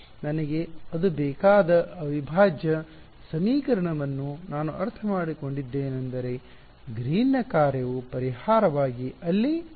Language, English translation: Kannada, The moment I got it integral equation I need it I mean Green’s function will appear there as a as a solution ok